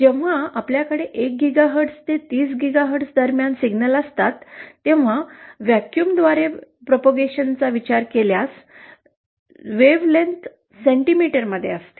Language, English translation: Marathi, When we have signals between 1 GHz and 30 GHz, the wavelength is in centimetre if we consider propagation through vacuum